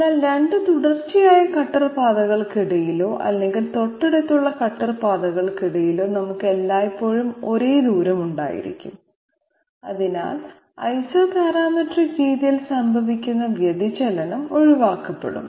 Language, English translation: Malayalam, But in between 2 successive cutter paths or adjacent cutter paths we are always going to have the same distance, so that divergence which was occurring in Isoparametric method is going to be avoided